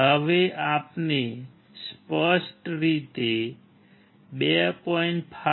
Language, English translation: Gujarati, Now let us write clearly 2